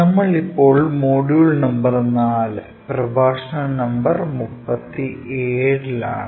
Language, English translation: Malayalam, We are in Module number 4 and Lecture number 37